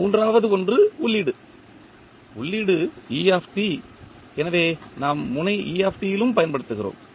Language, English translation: Tamil, Then third one is the input, input is et so we apply at the node et also